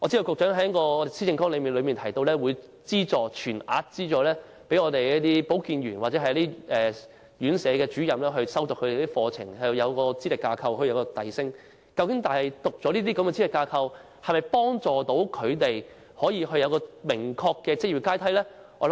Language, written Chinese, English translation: Cantonese, 局長在施政綱領提到會全額資助保健員或院舍主任修讀課程，讓他們根據資歷架構取得晉升資格，但修讀這些資歷架構認可的課程能否為他們提供明確的職業階梯呢？, The Secretary has also proposed in the Policy Agenda that full subsidy be provided for health workers and officers of RCHEs to pursue studies in order to enable them to be qualified for promotion according to the Qualifications Framework . However can the pursuit of these programmes recognized by the Qualifications Framework provide a clear job ladder for them?